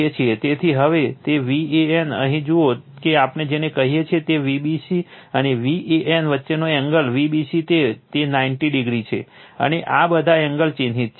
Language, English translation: Gujarati, So, now, that V a n see here what we call and V b c angle between V b c and V a n, it is 90 degree right and all angles are marked right